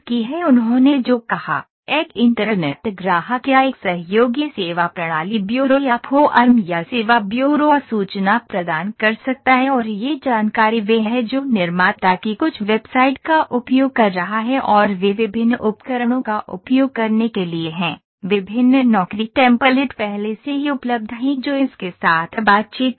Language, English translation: Hindi, What he said, an internet customer or form or service burro a collaborative service system can provide the information and this information is what it is using some website of the manufacturer and they to use various tools, various job templates are already available which interact with this